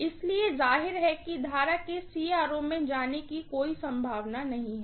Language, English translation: Hindi, So, obviously there is hardly any current going into the CRO